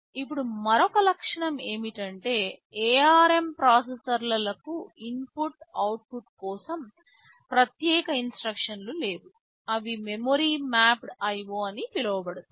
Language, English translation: Telugu, Now another feature is that I would like to say is that ARM processors does not have any separate instructions for input/ output, they use something called memory mapped IO